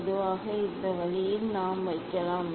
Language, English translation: Tamil, generally, this way we can put